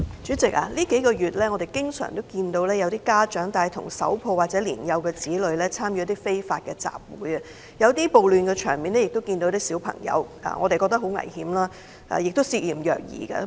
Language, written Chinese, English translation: Cantonese, 主席，數個月來，我們經常看到有家長帶同手抱或年幼子女參與非法集會，在某些暴亂場面中亦看到有小孩子出現，實在非常危險，亦涉嫌虐兒。, President in the past few months I have often seen many parents participate in illegal assemblies with their infants or young children and children were seen at the scene of some riots . I consider this very dangerous and these are suspected child abuse cases